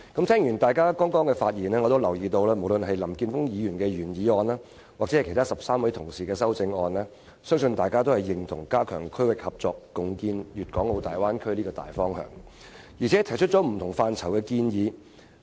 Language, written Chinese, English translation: Cantonese, 聽過大家剛才的發言，我留意到無論是林健鋒議員的原議案還是13位議員提出的修正案，大家均認同"加強區域合作，共建粵港澳大灣區"這個大方向，並就不同範疇提出建議。, Having listened to Members speeches just now I notice that Mr Jeffrey LAMs original motion and also the amendments proposed by 13 Members invariably agree to the broad direction of strengthening regional collaboration and jointly building the Guangdong - Hong Kong - Macao Bay Area while also putting forth recommendations in various respects